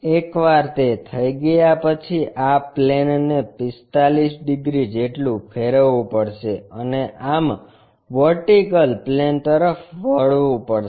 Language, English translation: Gujarati, Once that is done, this plane has to be rotated by 45 degrees and thus, inclined to the vp